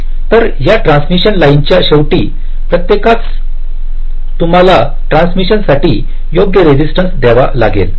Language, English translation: Marathi, so at the each of the end of this transmission line you can, you have to use a resistance for termination, right